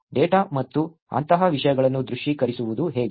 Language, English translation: Kannada, How to visualize a data and things like that